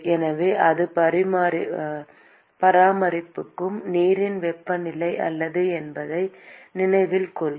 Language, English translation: Tamil, So, note that it is not the temperature of the water that it maintains